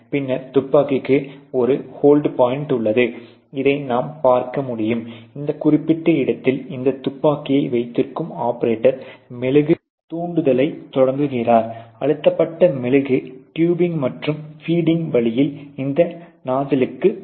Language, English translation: Tamil, And then there is a the hold point for the gun you can see this you know operator holding this gun at this particular place initiate the wax trigger which pull, you know the pressurized wax from the tubing and the feeding and all the way to this nozzle